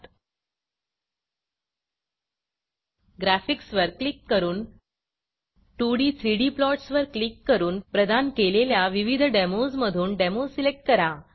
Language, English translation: Marathi, Click on Graphics, click 2d 3d plots and select a demo out of the various demos provided